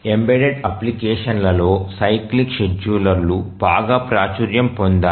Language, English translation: Telugu, Let's look at the cyclic schedulers are very popular used in embedded applications